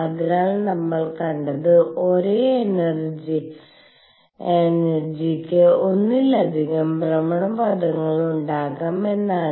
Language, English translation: Malayalam, So, what we saw was there could be more than one orbit for the same energy